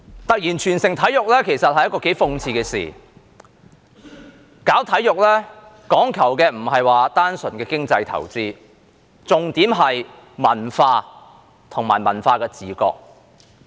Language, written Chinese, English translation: Cantonese, 突然全城體育其實是一件頗諷刺的事，搞體育講求的不是單純的經濟投資，重點是文化和文化的自覺。, It is rather ironic that there emerges a citywide sports craze suddenly . Sports are not simply about economic investment but mainly about culture and cultural awareness